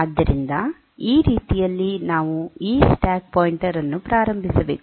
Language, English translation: Kannada, So, that way we should initialize this stack pointer